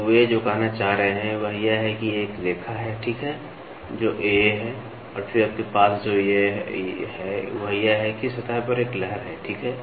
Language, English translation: Hindi, So, what they are trying to say is there is a line, ok, which is AA and then what you have is you have an undulation on the surface, ok